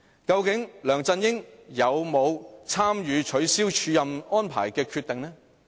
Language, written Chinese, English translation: Cantonese, 究竟梁振英有否參與取消署任安排的決定？, Did LEUNG Chun - ying participate in making the decision of cancelling the acting appointment?